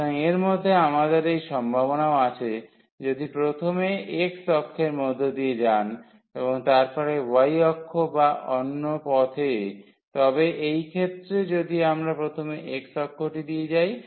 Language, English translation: Bengali, So, in this we have the possibility though going first through the x axis and then the y axis or the other way round, but in this case if we go first to watch the x axis